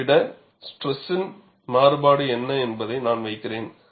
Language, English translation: Tamil, Let me put, what is the stress variation over this